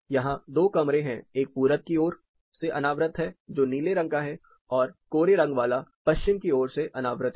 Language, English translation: Hindi, Then this is there are 2 rooms here; one is the east exposed room that is the blue color line and the grey one is a west exposed room